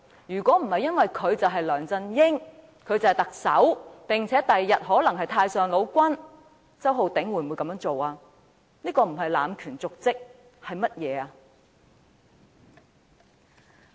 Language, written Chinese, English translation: Cantonese, 如果不是因為他是梁振英，是特首，日後更可能是太上王，周浩鼎議員會這樣做嗎？, If the person were not Chief Executive LEUNG Chun - ying who may become the supreme ruler one day would Mr Holden CHOW agree to do so?